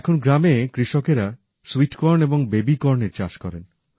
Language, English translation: Bengali, Today farmers in the village cultivate sweet corn and baby corn